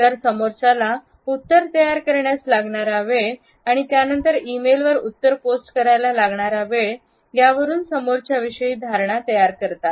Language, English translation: Marathi, So, the time it takes the receiver to form a reply and to post this reply to an e mail enables the receiver to form opinions